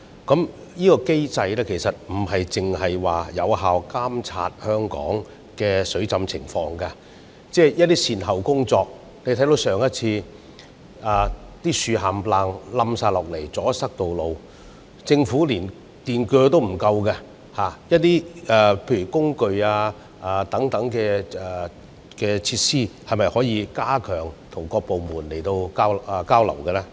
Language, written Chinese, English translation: Cantonese, 這機制並非只是有效監察香港的水浸情況，而是就一些善後工作來說，例如我們看到上次颱風襲港後，大量樹木倒塌並阻塞道路，但政府連電鋸也不足夠，在工具或設施方面，當局可否加強各部門之間的交流？, Such a mechanism not only serves to effectively monitor the flooding situation in Hong Kong but also facilitates follow - up work in the aftermath of floodings . For instance after the last typhoon we saw a large number of fallen trees blocking the roads but the Government did not even have enough power saws . In respect of tools or facilities can the Government strengthen the exchange among various departments?